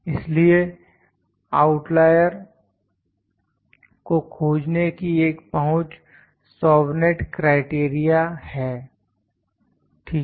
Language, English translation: Hindi, So, one approach to detecting the outlier is Chauvenet’s criterion, ok